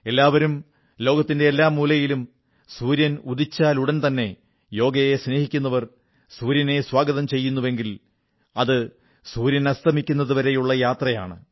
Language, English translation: Malayalam, In any corner of the world, yoga enthusiast welcomes the sun as soon it rises and then there is the complete journey ending with sunset